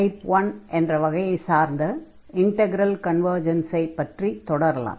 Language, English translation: Tamil, So, we will continue on the discussion on the convergence of type 1 integrals